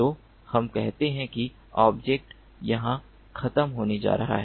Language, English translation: Hindi, so let us say that the object is going to be over here